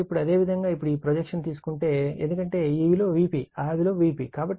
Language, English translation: Telugu, So, that means if you now if you now take the projection of this one, because this is V p, this is V p